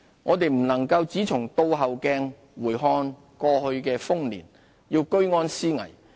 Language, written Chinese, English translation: Cantonese, 我們不能只從"倒後鏡"回看過去的豐年，要居安思危。, We should not just keep looking back to the prosperous years in the past